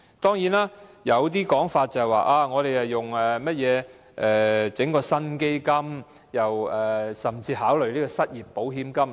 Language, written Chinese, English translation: Cantonese, 當然，有說法指，當局會成立一個新基金，甚至考慮以失業保險金作替代。, Certainly there is a saying that the authorities will establish a new fund or even consider adopting unemployment insurance fund as an alternative